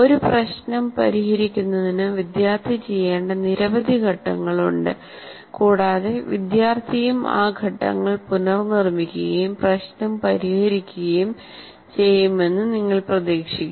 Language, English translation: Malayalam, That is also, you have a series of steps that student is required to perform to solve a problem and you expect the student also to reproduce those steps and solve the problem